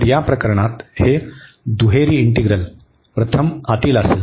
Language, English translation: Marathi, So, in this case this double integral will be first the inner one